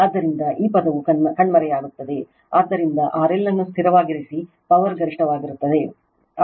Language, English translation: Kannada, So, this term will vanish, therefore, power is maximum if R L is held fixed right